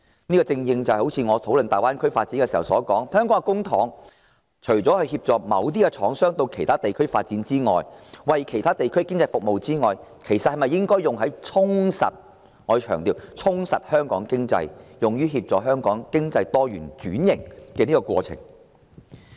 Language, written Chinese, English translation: Cantonese, 正如我剛才討論大灣區發展時所說，香港除了以公帑協助某些廠商到其他地區發展、為其他地區的經濟服務外，是否也應該把公帑用於充實——我強調——充實香港經濟，推動香港經濟多元化及轉型？, As I pointed out during my discussion on the Greater Bay Area development just now apart from using public funds to help certain manufactures to grow in other places and in turn serve the economies there should the Government not use public funds to enhance―I stress―enhance the economy of Hong Kong and promote the economic diversification and transformation of Hong Kong?